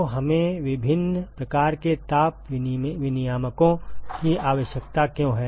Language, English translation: Hindi, So, why do we need different types of heat exchangers